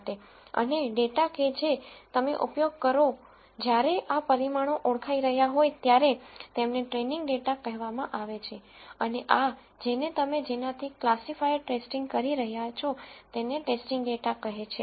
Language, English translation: Gujarati, And the data that you use while these parameters are being identified are called the training data and this is called the test data that you are testing a classifier with